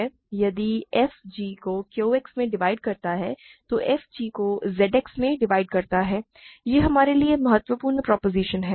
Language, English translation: Hindi, Then if f divides g in Q X then f divides g in Z X; this is the important proposition for us